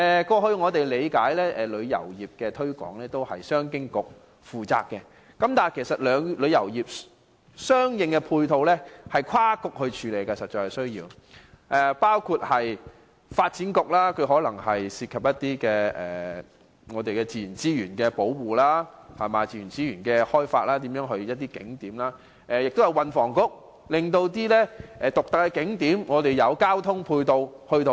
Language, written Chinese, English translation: Cantonese, 過往旅遊業的推廣工作由商務及經濟發展局負責，但事實上旅遊業相應的配套需要多個政策局配合，包括發展局，因可能涉及自然資源的保護和開發，以及運輸及房屋局，因涉及獨特景點的交通配套。, While the promotion of tourism falls under the purview of the Commerce and Economic Development Bureau complementary support from different Policy Bureaux is necessary . For example the Development Bureau may help tackle issues concerning the conservation and development of natural resources and the support of the Transport and Housing Bureau is needed for the provision of transport services to unique attractions